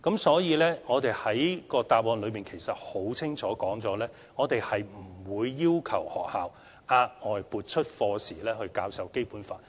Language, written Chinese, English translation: Cantonese, 所以，我的主體答覆很清楚說明，我們不會要求學校額外撥出課時教授《基本法》。, Hence as clearly stated in my main reply we will not ask schools to allocate any lesson hours specially for teaching the Basic Law